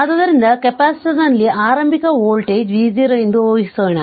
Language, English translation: Kannada, But, we assume that this capacitor initially was charge at v 0